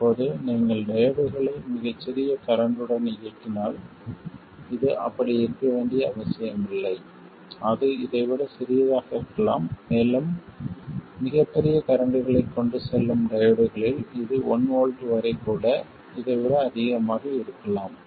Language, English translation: Tamil, If you operate diodes with very small currents it could be smaller than this and also in diodes which carry very large currents it could be more than this even as much as 1 volt